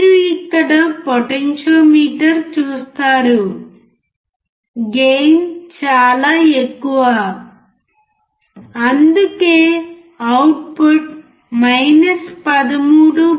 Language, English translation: Telugu, You see here potentiometer, the gain is extremely high, and that is why you can see that the output is 13